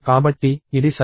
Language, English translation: Telugu, So, it seems to be correct